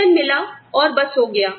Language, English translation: Hindi, Get the salary, and it is up